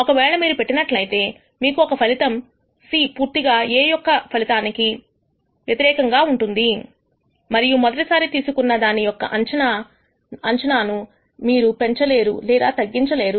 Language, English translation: Telugu, If you have done A replacement on the other hand, you will nd that the outcome of C will be completely independent of outcome of A and you will not be able to improve or decrease the predictability of A in the first pick